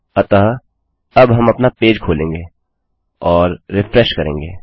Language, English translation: Hindi, So, now well open our page up and refresh